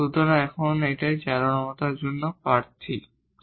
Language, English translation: Bengali, So, these are the candidates now for the extrema